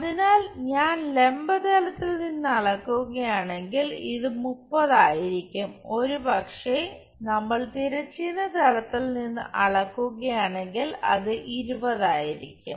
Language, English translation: Malayalam, So, if I am measuring from vertical plane this will be 30, if we are measuring from horizontal plane that will be 20